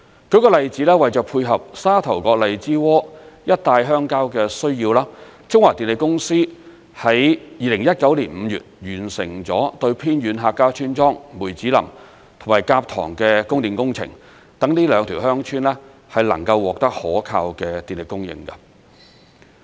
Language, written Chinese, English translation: Cantonese, 舉個例子，為配合沙頭角荔枝窩一帶鄉郊的需要，中華電力有限公司在2019年5月完成了對偏遠客家村莊梅子林及蛤塘的供電工程，讓這兩條鄉村能夠獲得可靠的電力供應。, For instance to tie in with the electricity demand in the rural areas along Sha Tau Kok and Lai Chi Wo the CLP Power Hong Kong Limited completed power supply works for the remote Hakka villages of Mui Tsz Lam and Kap Tong in May 2019 so as to provide reliable power supply to these two villages